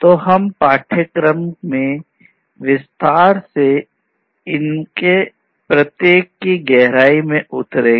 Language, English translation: Hindi, So, we will get into the depth of each of these in detail throughout the course